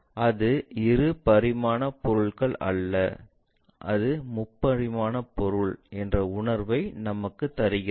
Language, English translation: Tamil, That gives us a feeling that it is not two dimensional object, it is a three dimensional object